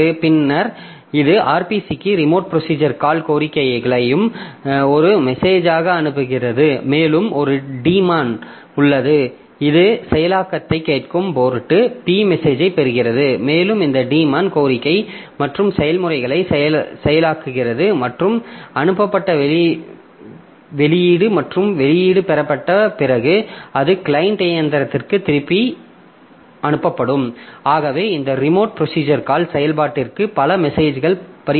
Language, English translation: Tamil, Now this, so then it sends the the RPC the remote procedure call request and this remote procedure call request that is also that is also coming as a message and there is a demon which listens to process port P receives the message and this demon processes the request and processes and the send output and after the output is obtained so it will be sent back to the client machine